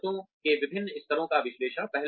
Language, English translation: Hindi, Various levels of needs analysis